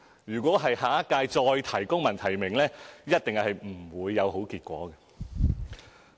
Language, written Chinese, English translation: Cantonese, 若下一屆再提公民提名，一定是不會有好結果的。, If they request again in the Government of the next term for civil nomination it will certainly be of no avail